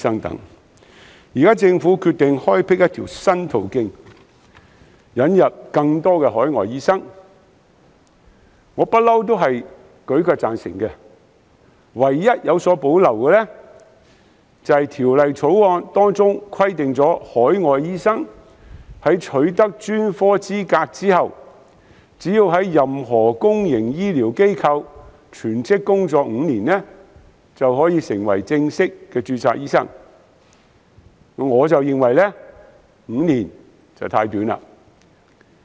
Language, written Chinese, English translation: Cantonese, 現時，政府決定開闢一條新途徑，引入更多海外醫生，我舉腳贊成，唯一有所保留的是，《條例草案》規定海外醫生在取得專科資格後，只須在任何公營醫療機構全職工作5年，便可成為正式註冊醫生，我認為5年太短。, Now that the Government decides to create a new pathway to bring in more overseas doctors I will certainly stand up for it . However there is one thing that I have reservations about ie . under the Bill an overseas doctor will only be required to work full - time in a public healthcare institution for five years after obtaining a specialist qualification in order to get fully - registered